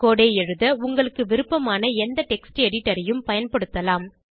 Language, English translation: Tamil, You can use any text editor of your choice to write the code